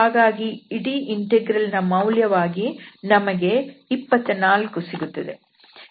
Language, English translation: Kannada, So, we will get then 24 as a result of this whole integral